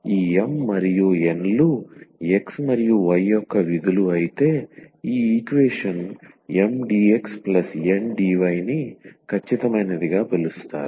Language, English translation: Telugu, If this M and N are the functions of x and y then this equation Mdx plus Ndy is called exact